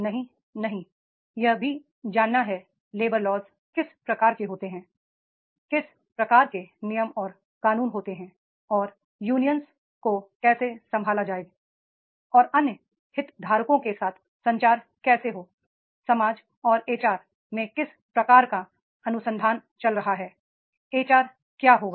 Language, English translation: Hindi, No, no, it is also has to know that is the what type of the labor laws are there, what type the rules regulations are there, how the unions are to be handled, how the communication with the other stakeholders of the society, what type of the research is going on in HR